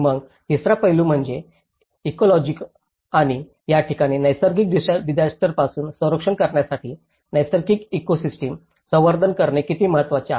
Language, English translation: Marathi, Then, the third aspect is the ecology and this is where the conservation of the natural ecosystem, how important is it, in order to protect the habitats from the disasters